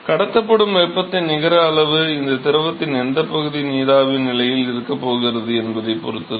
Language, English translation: Tamil, So, therefore, the net amount of heat that is transported, it depends upon what fraction of this fluid is going to be in the vapor state